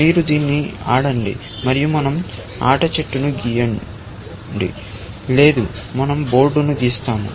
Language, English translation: Telugu, Let us say you play this and we are not drawing the game tree; we will just draw the board